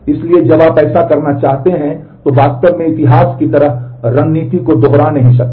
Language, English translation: Hindi, So, when you want to do that, so you cannot do really kind of repeating the history kind of strategy